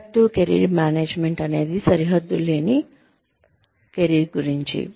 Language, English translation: Telugu, Proactive Career Management is about boundaryless careers